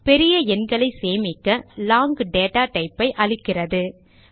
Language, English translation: Tamil, To store large numbers, Java provides the long data type